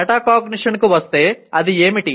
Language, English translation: Telugu, Coming to metacognition, what is it